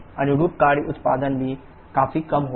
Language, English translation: Hindi, Corresponding work output will also be significantly low